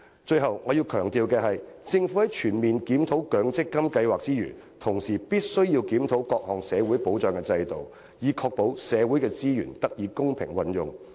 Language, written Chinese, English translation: Cantonese, 最後，我要強調的是，政府在全面檢討強積金計劃之餘，亦須檢討各項社會保障制度，以確保社會的資源得以公平運用。, Finally I wish to stress that apart from conducting a comprehensive review on the MPF scheme the Government should also review various social security systems to ensure that social resources will be used fairly